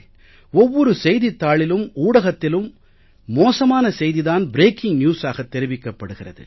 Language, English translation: Tamil, Each newspaper and news channel has bad news for its every 'breaking news'